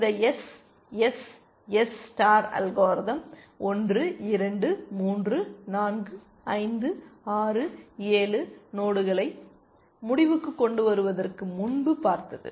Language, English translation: Tamil, This SSS star algorithm has looked at 1, 2, 3, 4, 5, 6, 7, nodes essentially before it terminated